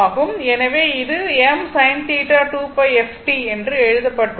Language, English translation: Tamil, So, it is written I m sin 2 pi f t